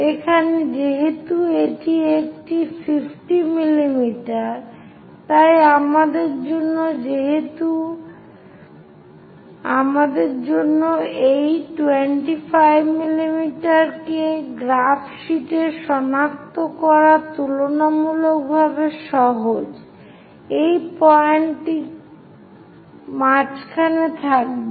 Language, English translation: Bengali, So, here because this is a 50 mm, so it is quite easy to locate 25 mm on this graph sheet for us, 25 will be at middle